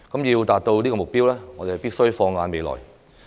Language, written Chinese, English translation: Cantonese, 要達到這個目標，我們必須放眼未來。, In order to achieve this goal we must have the future in mind